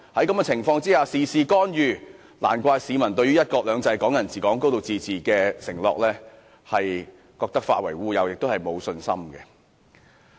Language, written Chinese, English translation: Cantonese, 中央事事干預，難怪市民覺得"一國兩制"、"港人治港"、"高度自治"的承諾化為烏有，對其沒有信心。, With the Central Authorities meddling in everything no wonder people have no confidence in the promises of one country two systems Hong Kong people administering Hong Kong and a high degree of autonomy which they think have already vanished into thin air